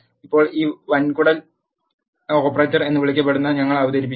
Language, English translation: Malayalam, Now, we will introduce what is called as a colon operator